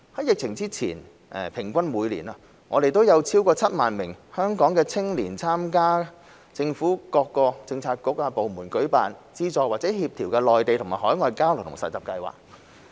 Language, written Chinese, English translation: Cantonese, 疫情前，每年平均有超過7萬名香港青年參加政府各政策局/部門舉辦、資助或協調的內地及海外交流和實習計劃。, Before the epidemic an average of over 70 000 Hong Kong young people participated in exchange and internship programmes on the Mainland and overseas that were organized funded or coordinated by various government bureauxdepartments each year